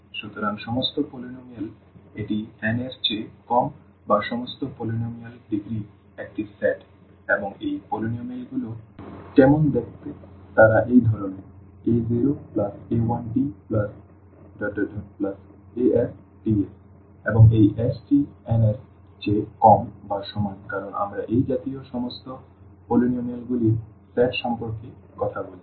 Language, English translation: Bengali, So, all polynomial this is a set of all polynomials of degree less than or equal to n and how these polynomials look like they are of this kind a 0 plus a 1 t plus a 2 t plus and so on a s t power s and this s is less than or equal to n because we are talking about the set of all such polynomials